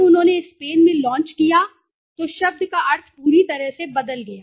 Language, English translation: Hindi, When they launched in the Spain the meaning of the word entirely changed okay